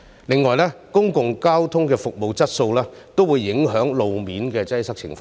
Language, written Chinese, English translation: Cantonese, 另外，公共交通的服務質素亦會影響路面的擠塞情況。, Moreover the service quality of public transport will also affect road congestion